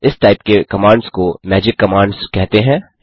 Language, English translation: Hindi, These other type of commands are called as magic commands